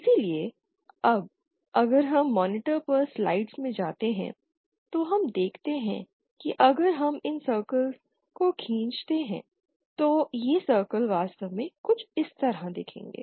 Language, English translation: Hindi, So if now go to the slides on the monitor we see that if we draw these circles then it will the circles will look something like this actually